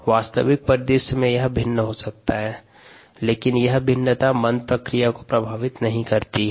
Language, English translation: Hindi, in actuality it could vary, but that variation does not affect the process